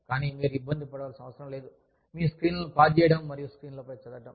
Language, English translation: Telugu, But, you do not need to bother about, pausing your screens, and reading it on the screen